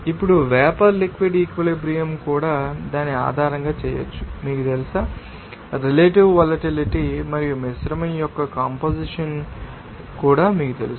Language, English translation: Telugu, Now, vapour liquid equilibrium also can be made, you know, based on that, you know, relative volatility, and also you know, composition of that, you know, mixture